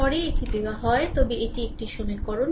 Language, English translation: Bengali, Later it is given but this is one equation